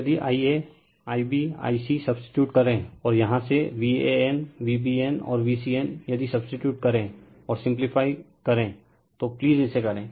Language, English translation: Hindi, And if you substitute your i a, i b, i c and from here your v AN, v BN and v CN, if you substitute and simplify, please do this right